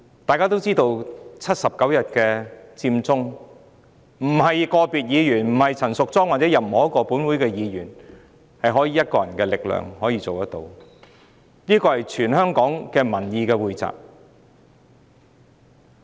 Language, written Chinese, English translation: Cantonese, 大家都知道79天的佔中運動，並非個別議員、陳淑莊議員或任何一位本會議員可憑一己力量推動，而是全港民意的匯集。, We all know that the Occupy Central movement which lasted for 79 days could in no way be launched with the mere effort of any one single person be that person a particular Member Ms Tanya CHAN or any other Member of this Council . Rather the movement was the joint efforts of a large number of members of the public